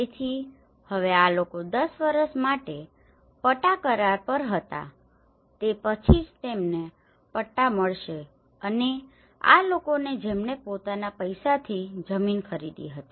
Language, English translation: Gujarati, So now, these people were on a lease for 10 years only then they will get the pattas and these people who bought the land with their own money